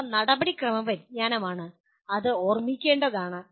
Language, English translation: Malayalam, These are procedural knowledge that needs to be remembered